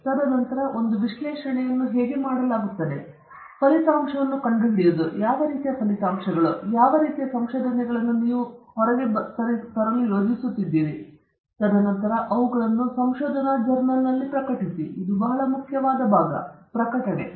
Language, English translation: Kannada, And then, also how an analysis is done and then finding the result; what kind of results, what kind of findings are you planning to come out of with, and then, publishing them in a research journal; and this is very crucial part of it publishing